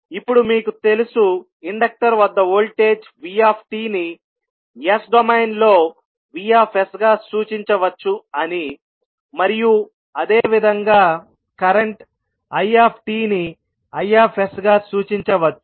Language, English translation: Telugu, Now, you know that if the voltage across inductor is v at ant time t it will be represented as v in s domain and similarly, current It will be represented as i s